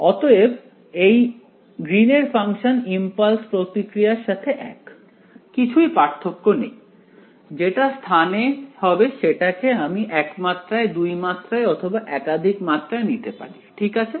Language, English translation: Bengali, So, this greens function is the same as an impulse response is nothing different; what will get generalized this in space I can talk a one dimension two dimension multiple dimensions right